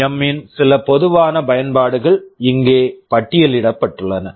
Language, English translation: Tamil, Some typical applications of PWM are listed here